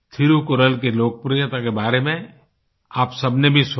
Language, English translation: Hindi, All of you too heard about the populairity of Thirukkural